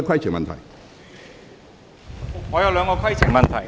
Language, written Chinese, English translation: Cantonese, 主席，我有兩個規程問題。, President I have two points of order